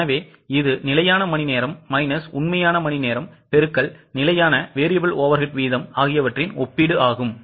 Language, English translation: Tamil, So, it's a comparison of standard hours minus actual hours into standard variable overhead rates